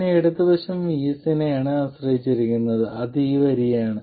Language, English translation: Malayalam, The straight line is what is dependent on VS, right